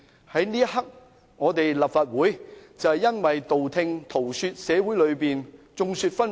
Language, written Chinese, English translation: Cantonese, 在這一刻，立法會只是道聽塗說，而社會上亦眾說紛紜。, The Legislative Council only has some unofficial information and many different opinions are voiced in the community